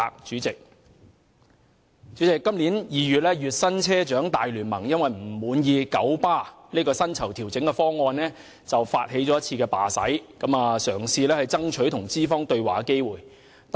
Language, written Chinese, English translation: Cantonese, 主席，今年2月，月薪車長大聯盟因不滿九巴的薪酬調整方案，發起了一次罷駛，嘗試爭取與資方對話的機會。, President in February this year dissatisfied with a pay adjustment package announced by Kowloon Motor Bus KMB the Monthly - Paid Bus Drivers Alliance staged a strike in an attempt to seek an opportunity for dialogue with the management